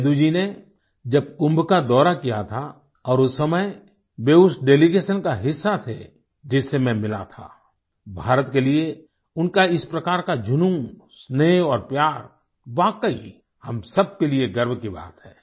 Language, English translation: Hindi, When Seduji visited Kumbh and at that time he was part of the delegation that I met, his passion for India, affection and love are indeed a matter of pride for all of us